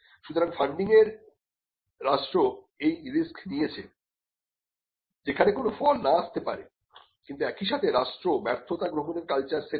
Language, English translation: Bengali, So, the state by its funding takes the risk that they could be nothing that comes out of this, but at the same time the state sets the culture of embracing failure